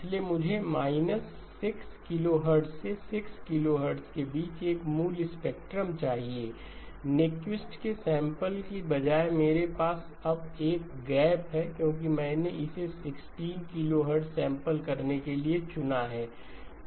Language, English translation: Hindi, So I want the original spectrum between minus 6 to 6, instead of being Nyquist sampled I now have a gap because I have chosen to sample it at 16 kilohertz okay